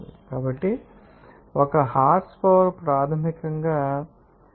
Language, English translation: Telugu, So, one horsepower is basically 0